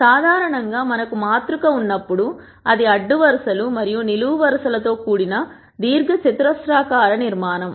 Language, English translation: Telugu, Typically when we have a matrix it is a rectangular structure with rows and columns